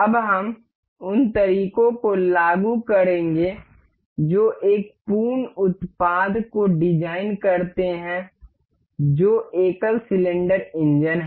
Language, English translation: Hindi, Now, we will apply those methods in designing one full product that is single cylinder engine